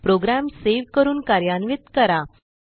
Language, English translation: Marathi, Now, save and run this program